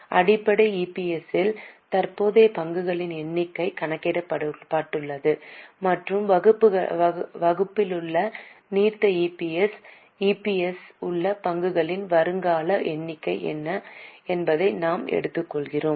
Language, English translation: Tamil, In basic EPS, the current number of shares are calculated and in diluted EPS in the denominator we take what are the prospective number of shares in EPS